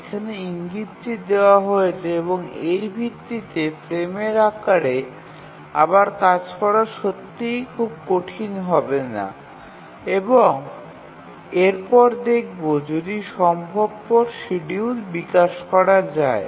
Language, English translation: Bengali, Just given the indication and based on that it don't be really very difficult to again rework on the frame size and see that if a feasible schedule can be developed